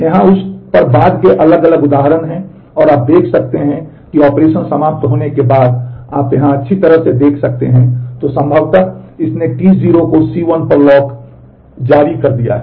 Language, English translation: Hindi, Here are different subsequent examples on that and you can you can see that well here after the operation end has happened, then possibly it has released the T 0 has released a lock on C 1